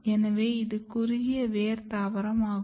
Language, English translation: Tamil, So, it is a very short root plant